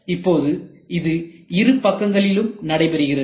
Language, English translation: Tamil, So, now, it is done on both sides